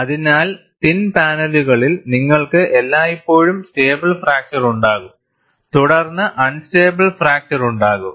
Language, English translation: Malayalam, So, in thin panels, you will always have a stable fracture, followed by unstable fracture